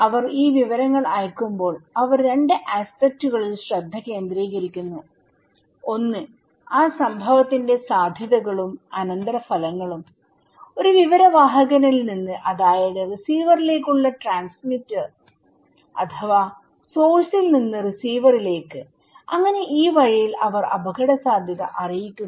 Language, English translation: Malayalam, When they are sending this informations, they focus in 2 aspects; one is the probabilities and consequence of that event, from one information bearer, that is the transmitter to the receiver or the from the source transmitter or receiver okay so, these way they communicate the risk